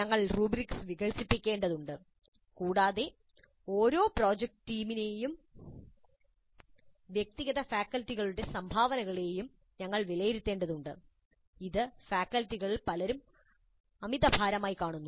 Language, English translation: Malayalam, We need to develop rubrics and we need to evaluate each project team, contribution of individual students, and this may be seen as quite heavy overload by many of the faculty